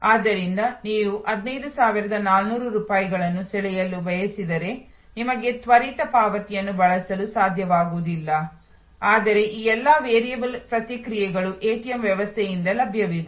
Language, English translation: Kannada, So, if you want to draw 15,400 rupees you will not be able to use the quick payment, but all these variable responses are available from the ATM system